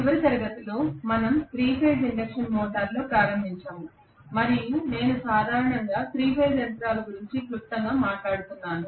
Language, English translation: Telugu, So yesterday we started on 3 Phase Induction Motor and I was talking briefly about the 3 phase machines in general